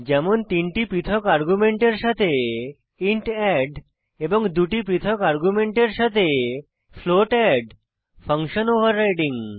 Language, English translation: Bengali, int add with three different arguments and float add with two different arguments